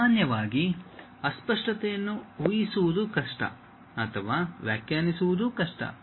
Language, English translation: Kannada, Usually, ambiguity are hard to guess or interpret is difficult